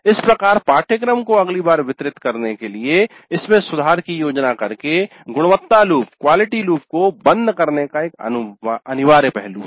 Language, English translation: Hindi, And thus this kind of plan for improving the course the next time it is delivered is an essential aspect of the closer of the quality loop